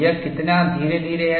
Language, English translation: Hindi, How gradual it is